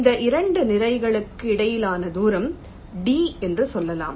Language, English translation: Tamil, ok, let say the distance between these two bodies is d